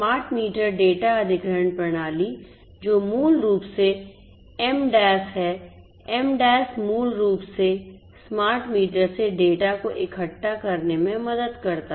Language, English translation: Hindi, Smart meter data acquisition system which is basically the MDAS, the MDAS is basically helps in gathering of the data from the smart meters